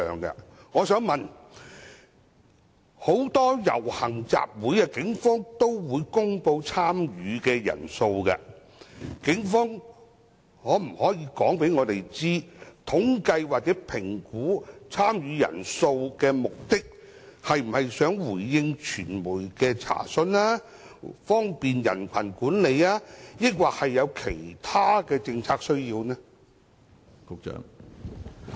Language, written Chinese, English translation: Cantonese, 警方曾就很多遊行集會公布參與人數，當局可否告知本會，統計或評估參與集會人數的目的，是為了要回應傳媒的查詢、方便人群管理或有其他政策需要？, The Police had previously announced the number of participants in various processions and assemblies can the Administration inform this Council whether the purpose of counting or assessing the number of participants is to respond to media enquiries facilitate crowd management or meet other policy needs?